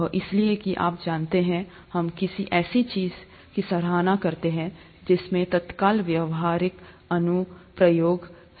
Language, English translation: Hindi, That is because you know we tend to appreciate something that has an immediate practical application